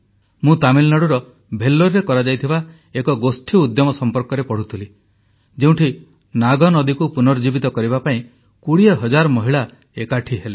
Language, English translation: Odia, I was reading about the collective endeavour in Vellore of Tamilnadu where 20 thousand women came together to revive the Nag river